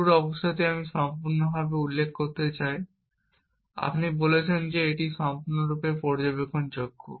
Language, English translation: Bengali, The start state I need to completely specify, you say that it is fully observable